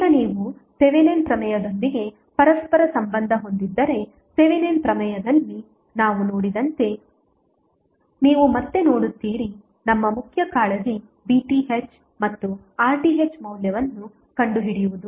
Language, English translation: Kannada, Now, if you correlate with the Thevenin's theorem you will see again as we saw in Thevenin theorem that our main concerned was to find out the value of V Th and R th